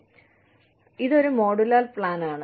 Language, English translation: Malayalam, So, that is a modular plan